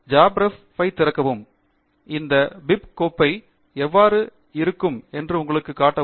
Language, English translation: Tamil, Let me open jabRef and show you how this bib file would look like